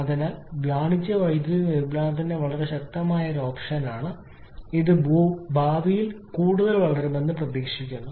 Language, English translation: Malayalam, So, it very important option of commercial power generation and is only expected to grow more in future